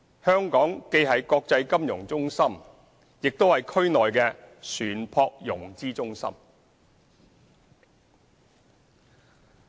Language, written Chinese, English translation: Cantonese, 香港既是國際金融中心，也是區內的船舶融資中心。, Hong Kong is both an international financial centre and a maritime financing centre in the region